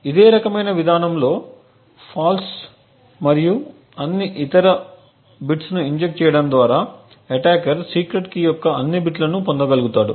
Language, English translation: Telugu, In a similar approach by injecting false and all other bits the attacker would be able to obtain all the bits of the secret key